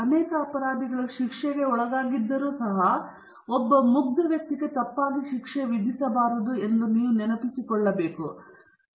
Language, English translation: Kannada, Perhaps you may recall that even though many guilty people may escape punishment not a single innocent person should be wrongly punished